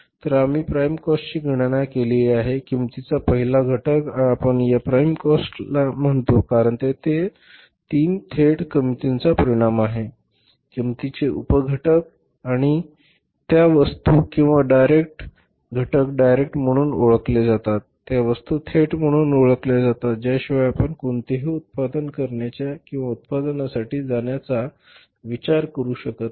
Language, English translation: Marathi, So we have calculated the prime cost first component of the cost and why we call it is a prime cost because it is the outcome of the three direct cost sub components of the cost and those things are called as direct those items are called as direct without which you can't think of making any production or going for the production no manufacturing is possible no production is possible without these direct So, they form the sub cost called as a prime cost